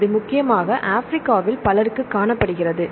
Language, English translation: Tamil, This is mainly found many people in Africa